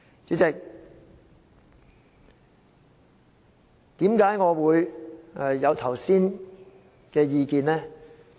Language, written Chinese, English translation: Cantonese, 主席，為何我會提出剛才的意見呢？, President why did I give the views just now?